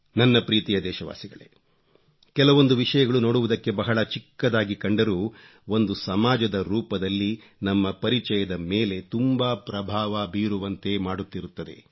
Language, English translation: Kannada, My dear countrymen, there are a few things which appear small but they have a far reaching impact on our image as a society